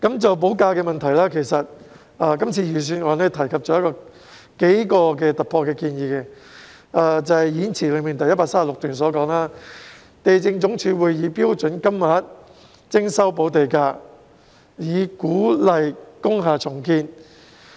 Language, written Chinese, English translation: Cantonese, 就補地價的問題，今次預算案提出了數項突破性建議，即演辭第136段所述，地政總署會以"標準金額"徵收補地價，以鼓勵工廈重建。, In relation to the problem of land premium payment several breakthrough proposals have been put forward in this Budget . As mentioned in paragraph 136 of the Budget Speech the Lands Department will charge land premium at standard rates to encourage redevelopment of industrial buildings